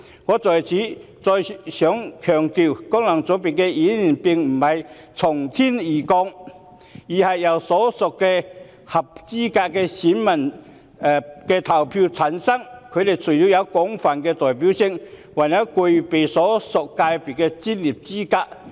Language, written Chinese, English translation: Cantonese, 我想在此強調，功能界別的議員並非"從天而降"，而是由所屬界別的合資格選民投票產生，除了有廣泛代表性外，還具備所屬界別的專業資格。, I must emphasize here that the Members returned by FCs do not come out of the blue but are elected by eligible electors in their respective constituencies . In addition to being broadly representative they also possess the professional qualifications in their respective sectors